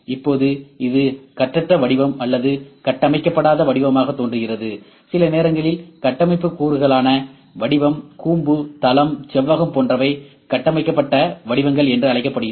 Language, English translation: Tamil, Now, this is seems to free form or unstructured form sometimes the structure components are like we have a circle, a cone, a plane, a rectangle or when these things are known the known shapes are there, those are known as structured forms